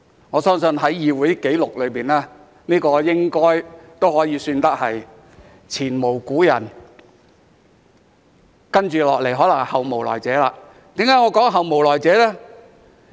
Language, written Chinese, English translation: Cantonese, 我相信在議會紀錄裏，這應可算是前無古人，而接着可能是後無來者，為何我會說後無來者呢？, I believe that in the record of the Legislative Council this can be regarded as unprecedented but will probably not be repeated . Why do I say that it will not be repeated?